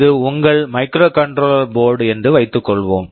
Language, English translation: Tamil, Suppose this is your microcontroller board